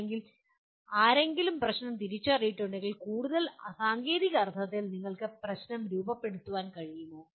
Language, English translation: Malayalam, Or having identified or at least if somebody has identified a problem, can you formulate the problem in a more technical sense